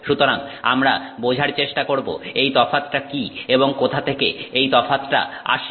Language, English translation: Bengali, So, we would like to understand what is this difference and where is this difference coming from, right